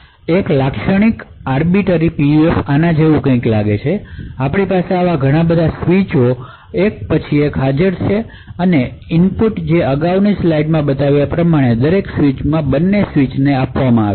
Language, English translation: Gujarati, A typical Arbiter PUF looks something like this, so we have actually multiple such switches present one after the other and a single input which is fed to both switches to each switch as shown in the previous slide